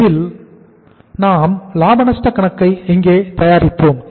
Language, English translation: Tamil, And in this uh we will prepare the profit and loss account here